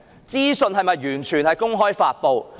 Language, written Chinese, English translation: Cantonese, 資訊是否完全公開發布？, Will information be fully made known to the public?